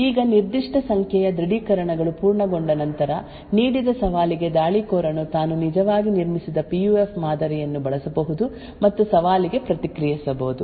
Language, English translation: Kannada, Now after a certain number of authentications have completed, for a given challenge the attacker could use the model for that PUF which it has actually created which it has actually built and respond to the challenge